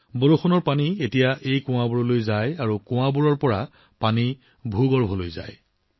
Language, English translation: Assamese, Rain water now flows into these wells, and from the wells, the water enters the ground